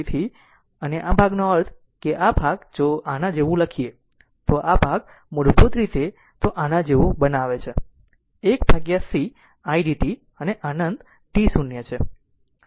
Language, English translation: Gujarati, So, and this this part that means, this part if we write like this, this basically if you make it like this that 1 upon c id dt and minus infinity to t 0 right